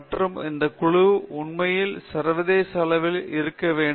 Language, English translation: Tamil, And that peer group must be truly international